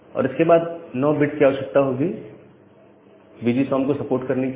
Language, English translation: Hindi, And then 9 bit is required to support VGSOM